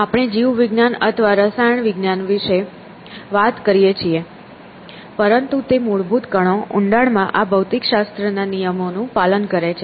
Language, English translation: Gujarati, We may talk about biology or chemistry and so on, but deep down they obey these laws of physical is fundamental particles obeyed essentially